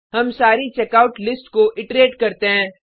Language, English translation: Hindi, We iterate through the Checkout list